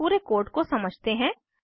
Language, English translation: Hindi, Let us go through the code